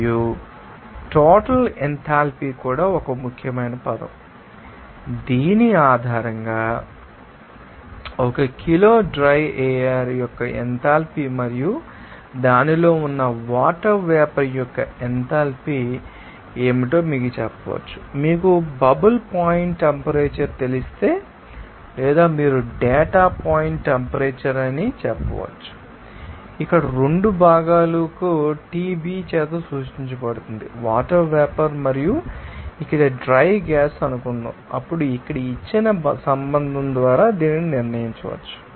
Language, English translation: Telugu, And total enthalpy also one important term based on which you can say that what should be the enthalpy of 1 kg of dry air plus the enthalpy of water vapor that it contains, if you know bubble point temperature or you can say that you know detum point temperature that is denoted by Tb for both components here suppose water vapour and here dry gas then it can be determined by the relationship here given as like Here in this case Lamdab that latent heat in kilojoules per kg of water vapor at that determines temperature or it is regarded as sometimes bubble point temperature and it can also be represented by humid heat here in this case, this Cs the heat to be, you know defined as 1